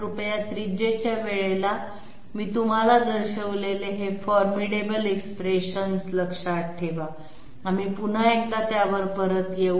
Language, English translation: Marathi, Please remember those formidable expressions I have shown you one point in time of the radius, we will come back to it once again